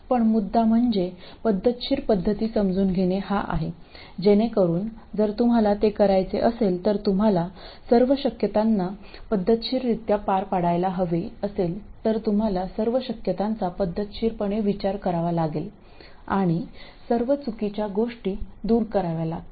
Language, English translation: Marathi, But the point is to understand the systematic method so that if you have to do it, you have to be able to go through all the possibilities systematically, you have to consider all the possibilities systematically and eliminate all the wrong ones